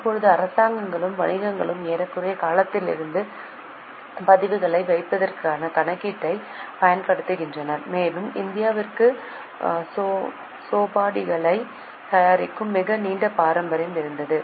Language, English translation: Tamil, Now governments and merchants have been using the accounting for keeping records since almost time immemorial and India had a very long tradition of preparing chopi's